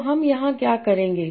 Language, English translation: Hindi, So what I will do